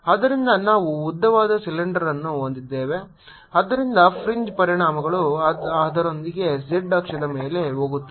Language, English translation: Kannada, so we have a long cylinder so that fringe effects are gone, with its axis on the z axis